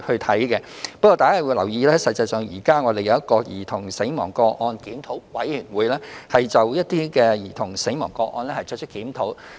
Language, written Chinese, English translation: Cantonese, 大家應留意的是，我們現已設有兒童死亡個案檢討委員會，就兒童死亡個案作出檢討。, Members should note that the Child Fatality Review Panel CFRP has been in place to review child death cases